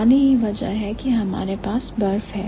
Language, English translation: Hindi, So, water is the reason why we have ice